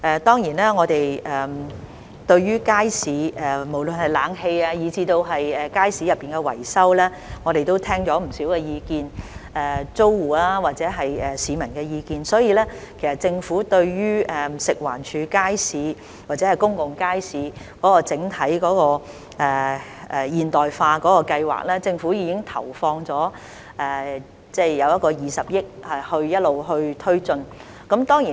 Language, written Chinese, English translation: Cantonese, 對於無論是街市的冷氣以至維修，我們也聽到不少意見，包括租戶或市民的意見，所以政府已經在食環署街市或公共街市整體現代化計劃投放20億元，一直推進有關計劃。, Regarding the air - conditioning and maintenance of markets we have heard a lot of views including those from tenants and members of the public so the Government has already invested 2 billion in the overall modernization programme of FEHD markets or public markets and has been taking forward the programme